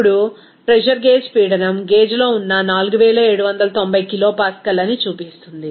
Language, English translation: Telugu, Now, a pressure gauge shows that the pressure is 4790 kilopascal that is in gauge